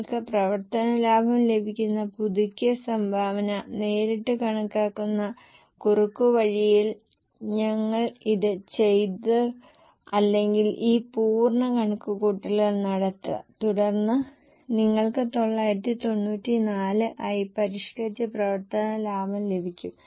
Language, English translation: Malayalam, Here we had done it as a shortcut, directly computing the revised contribution you get operating profit or do this full calculation then also you get the revised operating profit as 994